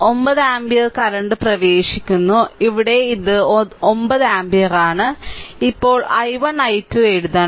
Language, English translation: Malayalam, So, 9 ampere current is entering here this is 9 ampere right